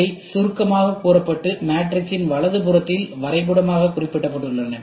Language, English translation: Tamil, These are then summed simply and represented graphically on the right hand side of the matrix